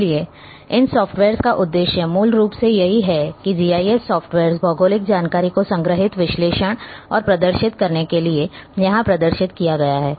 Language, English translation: Hindi, So, the software is basically the purpose of these softwares GIS softwares as a displayed here to store, analyze and display geographic information